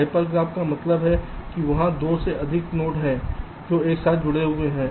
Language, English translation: Hindi, hyper graph means there are more than two nodes which are connected together